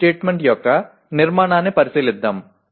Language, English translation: Telugu, Let us take a look at structure of a CO statement